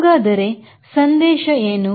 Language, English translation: Kannada, so what is the message